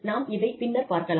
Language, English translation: Tamil, We will talk about these, a little later